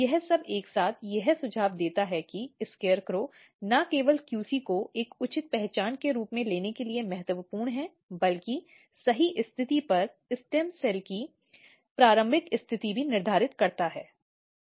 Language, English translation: Hindi, This all together suggest that SCARECROW is important in not only taking QC as a proper identity, but also positioning stem cell initial at the right position